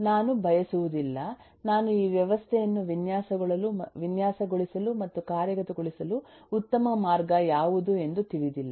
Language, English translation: Kannada, I yet do not know what will be the best way to design and implement this system